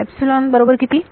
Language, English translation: Marathi, Epsilon is equal to